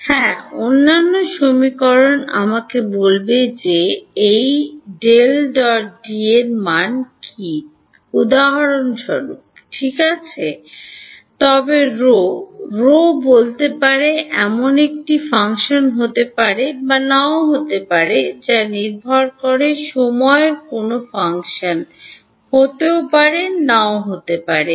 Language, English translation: Bengali, Yes, the other equation will tell me what is the value of this del dot D for example, rho; right, but rho may or may not be a function I mean may or may not be a function of time in the depend